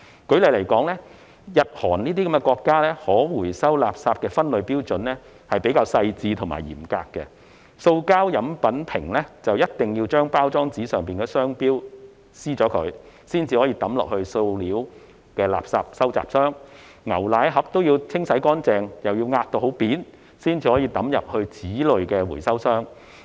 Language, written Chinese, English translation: Cantonese, 舉例來說，日、韓等國家可回收垃圾的分類標準比較細緻及嚴格，塑膠飲品瓶必須將包裝上的商標貼紙撕掉，才可掉進塑料垃圾收集箱；牛奶盒亦需要清洗乾淨並壓平後，才能丟進紙類回收箱。, For instance there are more detailed and stringent standards for separation of recyclable waste in countries such as Japan and Korea . Trademark labels on the packaging of plastic beverage bottles must be removed before they can be put into plastic waste collection bins; whereas milk cartons must be rinsed and flattened before they can be thrown into waste paper collection bins for recycling